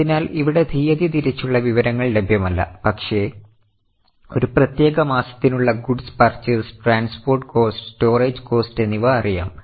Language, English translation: Malayalam, So, here, date wise information is not known but during a particular month they know the goods purchased, transport cost and storage cost